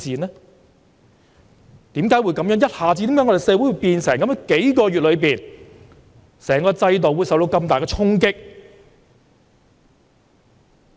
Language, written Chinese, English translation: Cantonese, 為何社會一下子變成這樣，幾個月間，整個制度受到這麼大的衝擊？, Why has society turned into such a state? . In just a few months time the entire system is seriously challenged